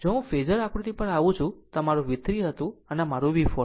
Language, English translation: Gujarati, If, I come to the Phasor diagram this was my V 3 and this was my V 4